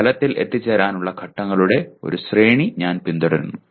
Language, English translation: Malayalam, I follow a sequence of steps to arrive at a result